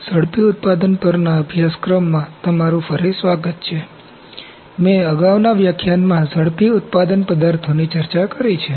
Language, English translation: Gujarati, Welcome back to the course on Rapid Manufacturing, I have discussed rapid manufacturing materials in the previous lecture